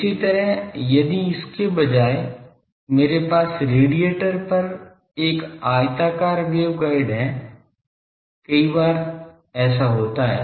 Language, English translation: Hindi, Similarly, if instead of this suppose I have a rectangular waveguide at the radiator many times this happens